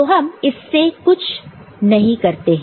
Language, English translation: Hindi, So, we do not do anything with that